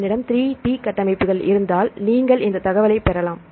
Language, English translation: Tamil, So, if we have the 3 D structures, you can get this information